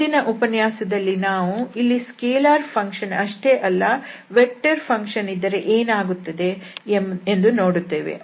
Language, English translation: Kannada, In the next lecture, we will consider not only that having here a scalar function that what will happen if we have the vector field